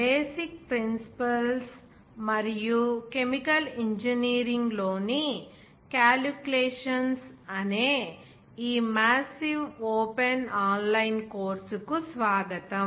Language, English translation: Telugu, Welcome to the massive open online course on basic principles and calculations in chemical engineering